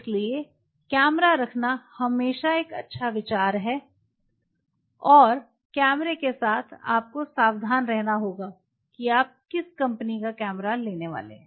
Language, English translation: Hindi, So, it is always a good idea to have the camera and with the camera also you have to be careful which company’s camera you are going to go through